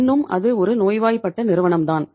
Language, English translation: Tamil, Still it is a sick company